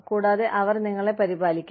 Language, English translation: Malayalam, And, they will take care of you